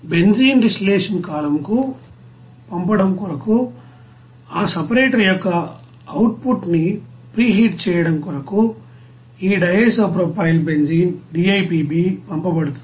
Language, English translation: Telugu, This you know DIPB will be sent to preheat the output of that you know separator to you know send it to the benzene distillation column